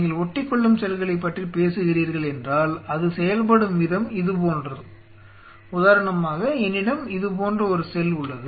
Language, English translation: Tamil, If you are talking about adhering cells, the cells the way it works is something like this say for example, I have a cell like this